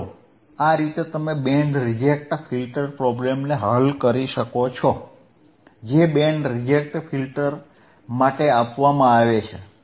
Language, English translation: Gujarati, So, the guys this is how you can solve a band reject filter right problem which is given for the band reject filter